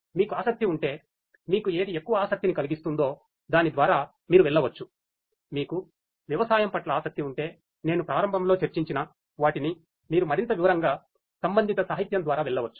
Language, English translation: Telugu, And if you are interested you can go through whichever is more applicable to you whichever interests you more if you are from if you have interests in agriculture the ones that I discussed at the very beginning you can go through the corresponding literature in further detail